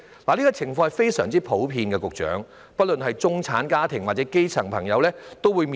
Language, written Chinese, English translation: Cantonese, 這些情況非常普遍，不論中產家庭或基層朋友都得面對。, These problems are very common to both the middle - class and grass - roots families